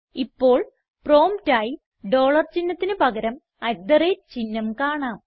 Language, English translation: Malayalam, Now instead of the dollar sign we can see the at the rate sign as the prompt